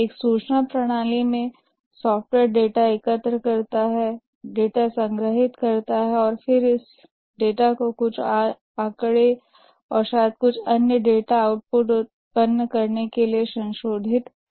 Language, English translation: Hindi, In a information system the software the software collects data, stores data, then processes this data to generate some statistics and maybe some other data output